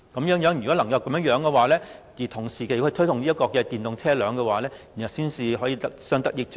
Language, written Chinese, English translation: Cantonese, 如果可以這樣做，同時推動電動車輛，才可以相得益彰。, The promotion of renewable energy and EVs are complementary to each other